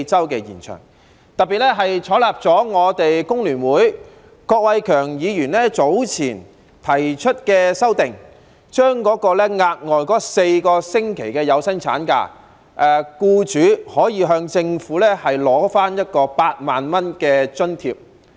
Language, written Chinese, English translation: Cantonese, 此外，政府特別採納了工聯會郭偉强議員早前提出的修訂，讓僱主可以就額外4星期的有薪產假，向政府申請8萬元的津貼。, Besides the Government has particularly adopted the amendment proposed earlier by Mr KWOK Wai - keung of the Hong Kong Federation of Trade Unions HKFTU to the effect that an employer can apply to the Government for an allowance of 80,000 in respect of the additional four weeks paid maternity leave